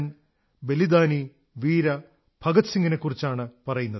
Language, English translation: Malayalam, I am speaking about Shahid Veer Bhagat Singh